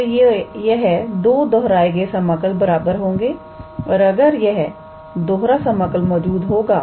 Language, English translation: Hindi, So, these two repeated integral will be equal if this double integral exist